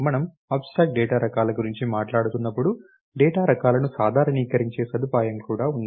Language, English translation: Telugu, In when we are talking about abstract data types, we also have a facility by which we can generalize data types